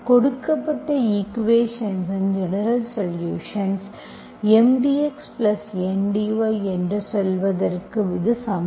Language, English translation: Tamil, This is the general solution, general solution of the equation, of the given equation, given equation M dx plus N dy